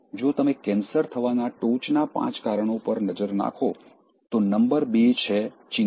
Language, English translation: Gujarati, If you look at the top five reasons for getting cancer, number two is worrying, just worrying